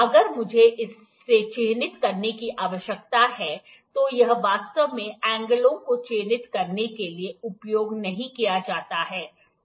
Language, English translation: Hindi, If I need to mark this, this is actually not used to mark the angles